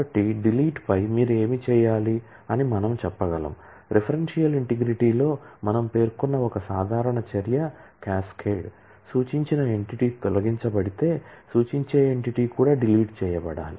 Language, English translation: Telugu, So, we can say that on delete, what you should be doing, one most common action that we specify in referential integrity is cascade that if the referred entity is deleted then the referring entity should also be deleted